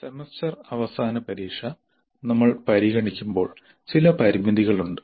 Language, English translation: Malayalam, Now the semester end examination when we consider, there are certain limitations